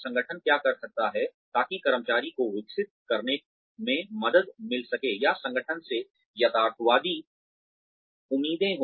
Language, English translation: Hindi, What the organization can do, in order to help the employee develop or have realistic expectations from the organization